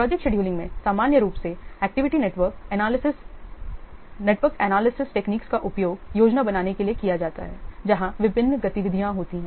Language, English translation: Hindi, In project scheduling, normally activity network analysis techniques they are used to plan when the different activities should take place